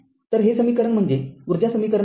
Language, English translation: Marathi, So, this equation is what you call that in a energy equation right